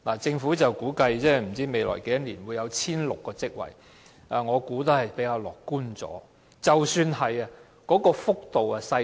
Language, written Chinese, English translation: Cantonese, 政府估計未來會增加 1,600 個職位，但我認為這種估計比較樂觀，增幅亦很小。, According to the Governments estimate 1 600 additional jobs will be created in the future . I think this estimate is rather optimistic and the rate of increase will be very small